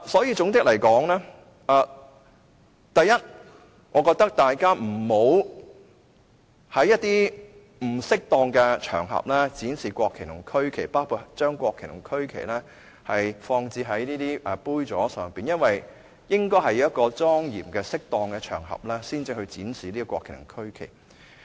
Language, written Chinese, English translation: Cantonese, 因此，總括而言，我認為大家不要在不適當的場合展示國旗和區旗，包括將國旗和區旗放置在杯座上，因為應該是在莊嚴和適當的場合才展示國旗和區旗。, All in all I hold that we must not display the national flag and regional flag on an inappropriate occasion including placing the national flags and regional flags in the glass holders . Because the national flag and regional flag should only be displayed on a solemn and appropriate occasion